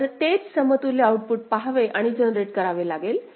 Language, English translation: Marathi, So, that equivalence we have to see and generate same output ok